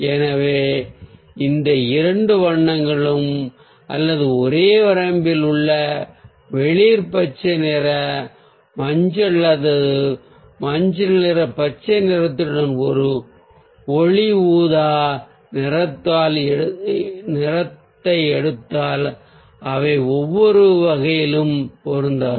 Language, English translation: Tamil, so those two colours or maybe from the same range if we pick, pick up ah light purple with a light ah greenish, ah yellow or a yellowish green, they also do not fit under any of the category